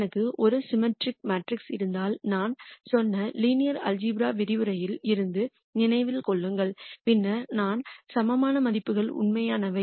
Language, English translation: Tamil, Remember from the linear algebra lecture we said if I have a symmetric matrix, then I will have the eigenvalues as being real